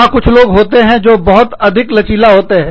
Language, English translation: Hindi, There are some people, who are very flexible